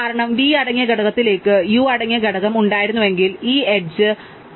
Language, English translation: Malayalam, Because, had it component containing U to the component containing V then we wouldn’t be adding this edge, this edge forms a cycle